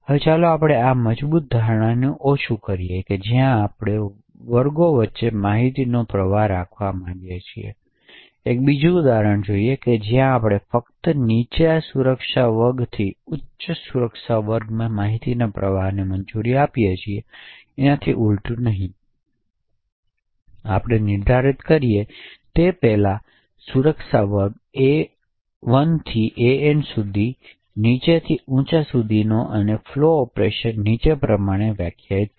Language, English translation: Gujarati, Now let us relax this strong assumption where we do not want to have information flow between classes, we will see another example where we only permit information flow from a lower security class to a higher security class and not vice versa, so as before we define security class A1 to AN ranging from low to high and define the flow operation as follows